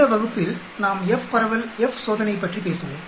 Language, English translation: Tamil, In this class, we will talk about f distribution, F test